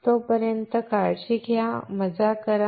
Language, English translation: Marathi, Till then take care, have fun